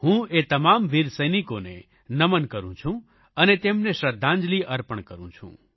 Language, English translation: Gujarati, I salute these valiant soldiers and pay my tributes to them